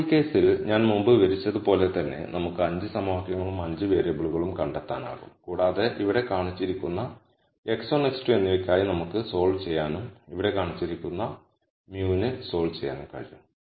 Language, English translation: Malayalam, Now much like how I described before in this case also we will be able to find 5 equations and 5 variables and we can solve for x 1 and x 2 which is shown here and we have solved for mu which is shown here